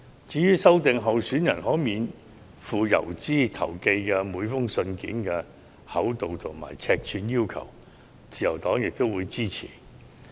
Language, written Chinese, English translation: Cantonese, 至於修訂候選人可免付郵資投寄的每封信件的厚度和尺碼規定，自由黨亦表示支持。, The Liberal Party also supports refining the requirement on thickness and size of each letter that may be sent free of postage by candidates